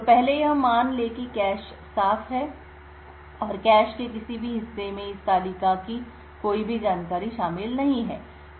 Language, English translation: Hindi, So first let us assume that the cache is clean, and no part of the cache comprises contains any of this table information